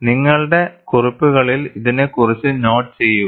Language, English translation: Malayalam, Please make a note on this in your notes